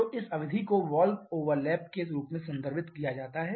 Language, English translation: Hindi, So, this period is referred to as the valve overlap which is about 30 to 35 degrees